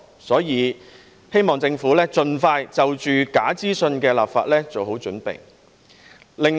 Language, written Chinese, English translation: Cantonese, 所以，我希望政府盡快就假資訊的立法做好準備。, For this reason I hope the Government will expeditiously prepare for the introduction of legislation on false information